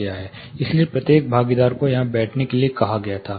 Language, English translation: Hindi, So, each and every participant is made to sit here